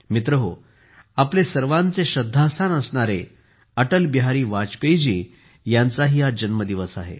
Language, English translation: Marathi, Friends, today is also the birthday of our respected Atal Bihari Vajpayee ji